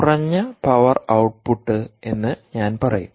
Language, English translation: Malayalam, i would say low power output